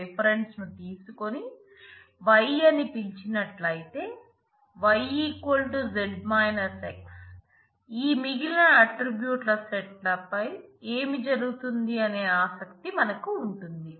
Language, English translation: Telugu, So, if you take the difference of attributes between z and x and call it y then we are interested what happens on these remaining set of attributes y